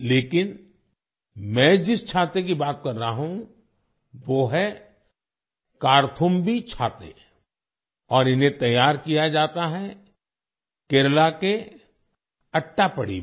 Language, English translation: Hindi, But the umbrella I am talking about is ‘Karthumbhi Umbrella’ and it is crafted in Attappady, Kerala